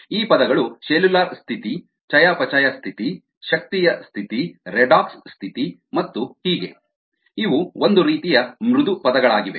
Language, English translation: Kannada, these terms cellular status, metabolic status, energy status and so on, so forth, redox status and so on, these are kind of soft terms you knowneed to